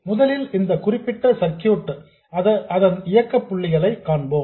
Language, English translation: Tamil, So first let's look at the operating point of this particular circuit